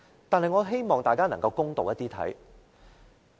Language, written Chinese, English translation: Cantonese, 但是，我希望大家能夠公道一點。, I however hope that we will be fair in making the comment